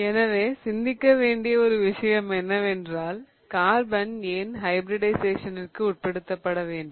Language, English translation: Tamil, So, one thing to ponder over is why does carbon have to undergo hybridization